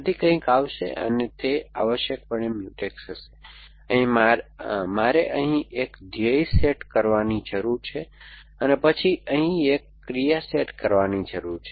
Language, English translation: Gujarati, So, something will come and they will be Mutex essentially, I need a goal set here and then an action set here